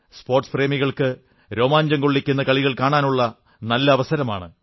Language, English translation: Malayalam, It is a good chance for the sport lovers to witness closely contested matches